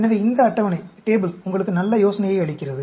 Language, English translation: Tamil, So, this table gives you nice idea